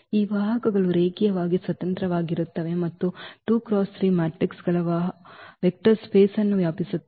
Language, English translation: Kannada, So, these vectors are linearly independent and span the vector space of 2 by 3 matrices